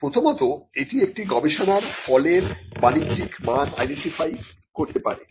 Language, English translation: Bengali, One – it can identify research results with commercial value